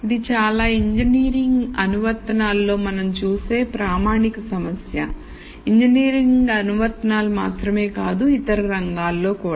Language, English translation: Telugu, This is a very standard problem that we see in many engineering applications and not only engineering applications in other fields also